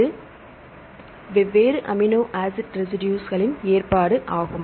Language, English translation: Tamil, It is the arrangement of different amino acid residues, right